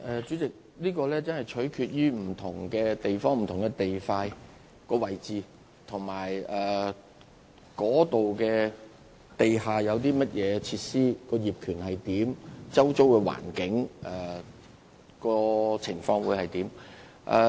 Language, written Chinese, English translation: Cantonese, 主席，這真的要取決於不同地點和不同地段的所在位置，以及該處有何地下設施、業權及周遭環境如何。, President this will really depend on the location of different sites identified for underground space development the underground facilities in these sites their ownership as well as the surrounding environment